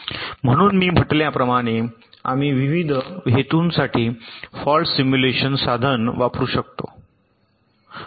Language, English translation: Marathi, so, as i said, we can use the fault simulation tool for various purposes